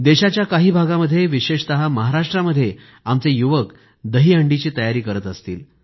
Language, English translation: Marathi, In other parts of the country, especially Maharashtra, our young friends must be busy with preparations of the 'DahiHandi'…